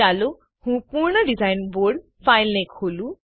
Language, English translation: Gujarati, Let me open the completed design board file